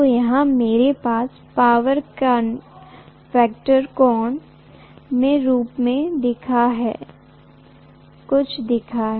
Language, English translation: Hindi, So this is some phi I am having as the power factor angle